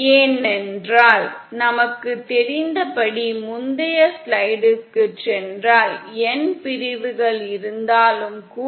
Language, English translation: Tamil, This is because, as we know, even if we have n sections if we go back to the previous slide